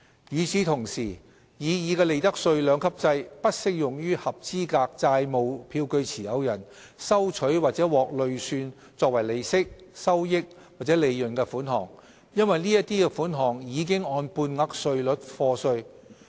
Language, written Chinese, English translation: Cantonese, 與此同時，擬議的利得稅兩級制不適用於合資格債務票據持有人收取或獲累算作為利息、收益或利潤的款項，因為該等款項已按半額稅率課稅。, At the same time the proposed two - tiered profits tax rates regime will not be applicable to the assessable profits for sums received by or accrued to holders of qualifying debt instruments as interest gain or profit which are already taxed at half - rate